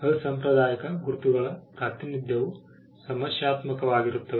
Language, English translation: Kannada, Representation of unconventional marks can be problematic